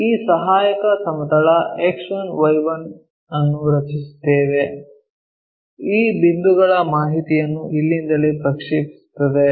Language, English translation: Kannada, We draw this auxiliary plane X1Y1; project these point's information's from here all the way